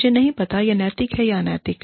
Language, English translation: Hindi, I do not know, whether it is ethical or unethical